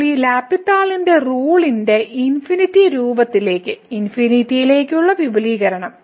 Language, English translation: Malayalam, So, now the extension of this L’Hospital’s rule to the infinity by infinity form